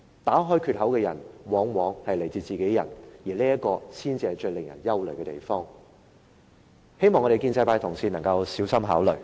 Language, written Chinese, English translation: Cantonese, 打開缺口的人往往是自己人，而這才是最令人憂慮的地方，希望建制派的同事能夠小心考慮。, Yet very often it is our own people who open the crack and that is most worrying . I hope the pro - establishment Members can give this matter some careful thought